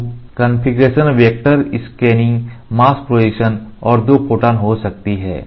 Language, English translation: Hindi, So, the configuration can be vector scanning can be mask projection and Two photon